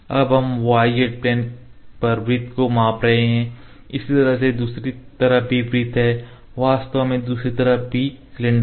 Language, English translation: Hindi, Now, we are measuring the circle on the y z plane, there is circle on the other side like this actually cylinder on the other side as well ok, but we are just measuring the circle